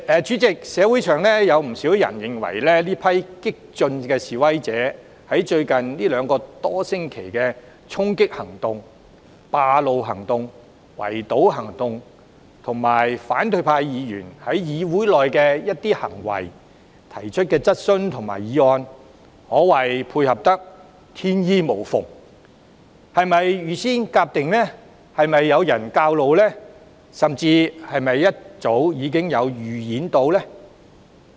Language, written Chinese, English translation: Cantonese, 主席，社會上不少人認為，這群激進的示威者在最近兩個多星期的衝擊、佔路、圍堵行動，以及反對派議員在議會內的一些行為、提出的質詢及議案，可謂配合得天衣無縫，不知是否預先籌劃，有人教唆，甚至事前經過預演？, President there are many in society who find it remarkable that the storming acts occupation of roads and blockades mounted by those radical protesters in the last two weeks could be so seamlessly synchronized with some of the actions of opposition Members or the questions or motions they put forward in this Council . They wonder whether such actions have been pre - scripted abetted by someone or even rehearsed in advance